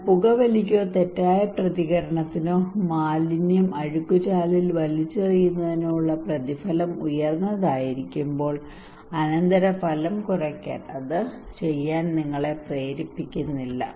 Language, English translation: Malayalam, But when the rewards are high for let us say for smoking or maladaptive response or throwing garbage in a drain and the consequence is lesser then you are not motivated to do it